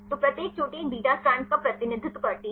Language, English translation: Hindi, So, each peak represents a beta strand